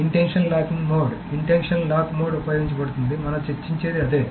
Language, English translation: Telugu, So intention locking mode, intention lock mode that is used